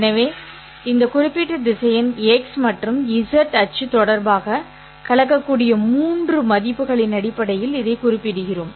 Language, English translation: Tamil, So we specify this in terms of the three values with which this particular vector makes with respect to the x, y, and z axis